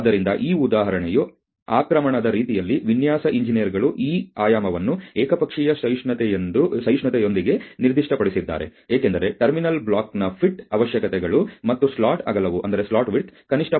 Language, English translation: Kannada, So, that is about you know the way that this example was invasion, the design engineers had specified this dimension with an unilateral tolerance, because of the fit requirements of the terminal block, and it was essential that the slot width be at least 0